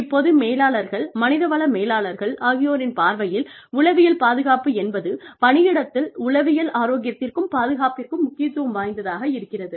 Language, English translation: Tamil, Now, from the perspective of managers, human resources managers, psychological safety climate, just refers to the weight, how much of importance, we give to psychological health and safety, in the workplace